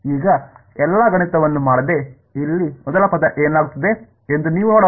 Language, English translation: Kannada, Now, without actually doing all the math, you can see what will happen to the first term over here